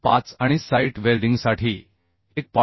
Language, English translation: Marathi, 25 for shop welding and 1